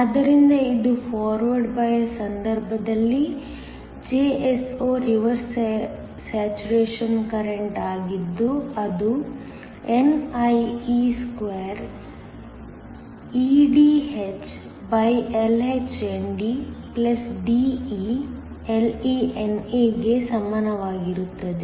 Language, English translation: Kannada, So, this is in the case of forward bias, Jso is the reverse saturation current which is equal to nie2eDhLhND+DeLeNA